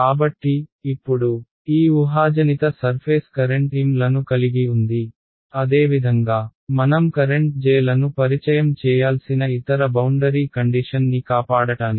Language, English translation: Telugu, So, now, this hypothetical surface has a current M s similarly to save the other boundary condition I will have to introduce the current Js